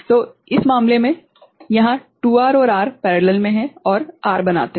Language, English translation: Hindi, So, in this case this 2R and 2R are in parallel right and becomes R